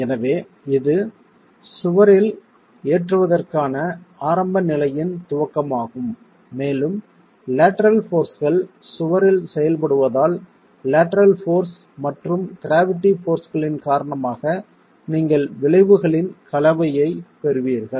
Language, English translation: Tamil, So, this is the initiation of the initial condition of loading in the wall and as the lateral forces act on the wall you will have a combination of the effects due to the lateral force and that of the gravity forces